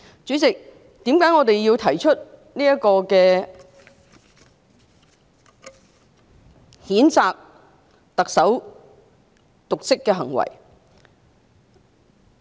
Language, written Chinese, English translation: Cantonese, 主席，我們為何要提出譴責特首的瀆職行為？, President why have we initiated condemnation of the Chief Executive for dereliction of duty?